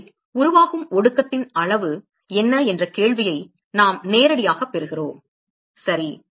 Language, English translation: Tamil, So, therefore, we directly get to the question of what is the amount of condensate that is being formed ok